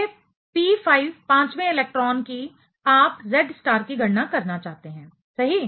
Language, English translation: Hindi, These p5 fifth electron, you want to calculate the Z star for right